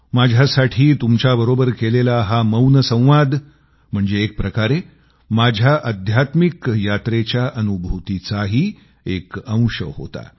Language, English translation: Marathi, For me, this nonvocal conversation with you was a part of my feelings during my spiritual journey